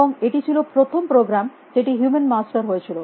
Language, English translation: Bengali, And it was a first program to be the human master